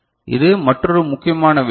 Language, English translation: Tamil, So, this is another important thing